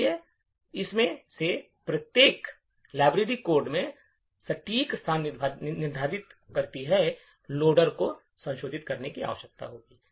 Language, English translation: Hindi, So, each of these entries determines the exact location in the library code the loader would need to modify